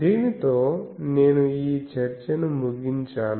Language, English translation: Telugu, , So, with this, I end this discussion